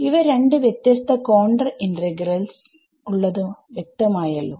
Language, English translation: Malayalam, So, I am just writing it once and there are two different contour integrals all right